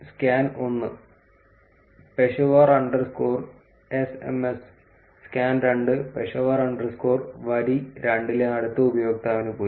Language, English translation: Malayalam, Scan 1 Peshawar underscore sms; scan 2 Peshawar underscore went to the next user in row 2